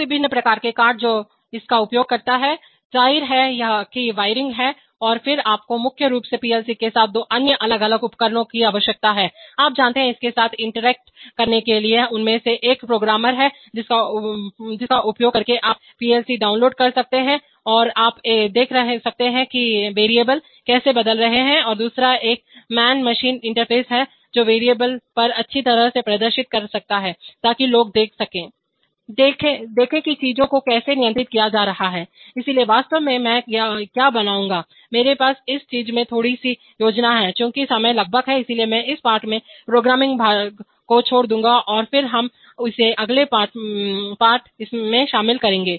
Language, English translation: Hindi, So various kinds of cards it uses, obviously there is wiring and then you need two other separate devices with PLC mainly for, you know, for interacting with it, one of them is a programmer using which you can download the PLC or you can see how variables are getting changed and the other is a man machine interface, which can display on the variables nicely, so that people can see, See how things are being controlled, so actually what I will make a, I have a little change of plan in this thing we, since time is nearly up, so I would skip the programming part in this lesson and then we will include it in the next lesson, so I am going to skip the next few slides and then come to the, come directly to the lesson review okay